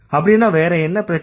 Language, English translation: Tamil, But then what is the problem